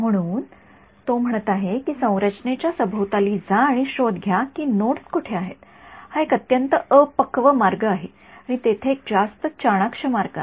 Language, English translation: Marathi, So, he is saying go around the structure and find out where the nodes are that is a very crude way is there a smarter way